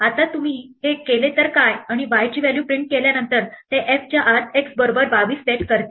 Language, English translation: Marathi, Now what if you do this, and this is exactly the same function except that after printing the values of y it sets x equal to 22 inside f